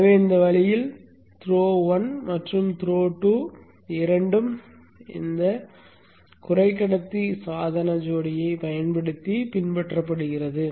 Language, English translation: Tamil, So in this way both the throw 1 and throw 2 are emulated using this power semiconductor device couplet